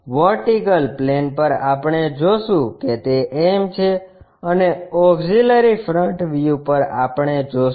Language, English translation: Gujarati, On VP we will see that is m and on auxiliary front view we will see